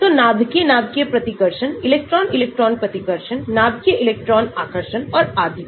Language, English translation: Hindi, so nuclear nuclear repulsions, electron electron repulsion, the nuclear electron attractions and so on